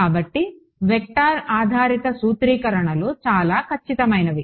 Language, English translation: Telugu, So, vector based formulations are much more accurate